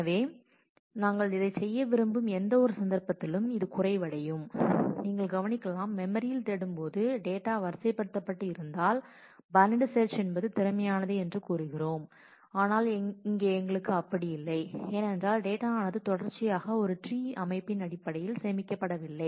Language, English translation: Tamil, So, this could be the fallback in any case when we want to do that and just you may note that in memory when we search we say that we will keep the data sorted and binary search is efficient, but that is not the case for us here because as you know the data is not stored sequentially it is in terms of a tree structure